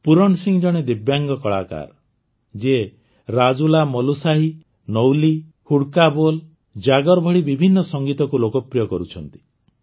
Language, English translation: Odia, Pooran Singh is a Divyang Artist, who is popularizing various Music Forms such as RajulaMalushahi, Nyuli, Hudka Bol, Jagar